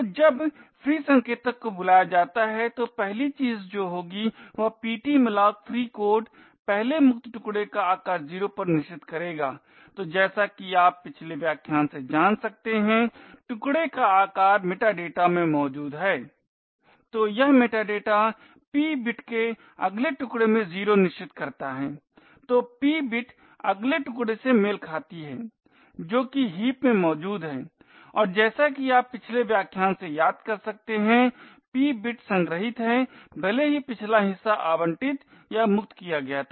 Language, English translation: Hindi, So when free pointer is called the first thing that would happen is that the ptmalloc free code would first set the size of the free chunk to 0, so as you can be collect from the previous lecture the size of the chunk is present in the metadata, so this metadata is set to 0 next the p bit is set to 0, so the p bit corresponds to the next chunk which is present in the heap and as you can recollect from the previous lecture the p bit stores whether the previous junk was allocated or freed